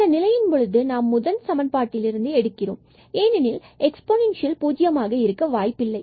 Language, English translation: Tamil, So, if we set these equations to 0, in that case we will get from this first equation because exponential cannot be 0